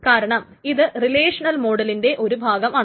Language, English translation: Malayalam, So this can be relational models as well